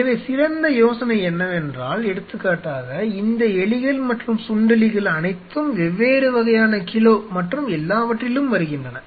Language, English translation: Tamil, So, the best idea is that say for example, So, the all these rats and mice everything comes in different kind of kgs and everything